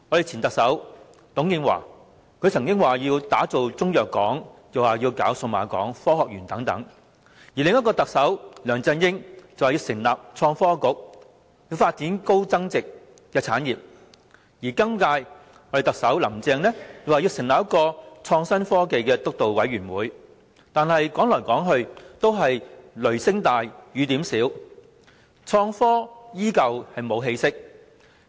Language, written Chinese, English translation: Cantonese, 前特首董建華曾經說要打造中藥港，又說要興建數碼港及科學園等；另一位特首梁振英則說要成立創新及科技局，發展高增值產業；今屆林鄭特首更說要成立創新科技督導委員會，但說來說去都是雷聲大雨點小，創科依舊毫無起色。, Former Chief Executive TUNG Chee - hwa once said that he wanted to build a Chinese medicine port a cyberport a science part so on and so forth . Another Chief Executive LEUNG Chun - ying called for the setting up of the Innovation and Technology Bureau to develop high value - added industries . The incumbent Chief Executive Carrie LAM even said that she would establish a Steering Committee on Innovation and Technology